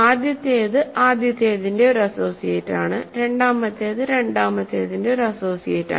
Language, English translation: Malayalam, The first one is an associate of the first one second one is an associate of the second one and so on